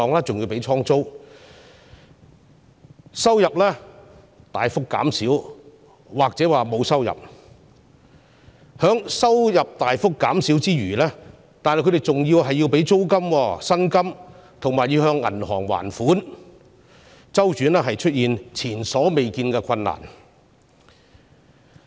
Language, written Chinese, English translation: Cantonese, 中小企收入大幅減少——甚或沒有收入——之餘，還要支付租金、薪金及清還銀行貸款，因此，它們的周轉出現前所未見的困難。, Apart from a drastic decrease in their revenues―or even no revenue at all―SMEs also have to pay for rents and wages and to repay bank loans thus resulting in unprecedented cash flow problems for them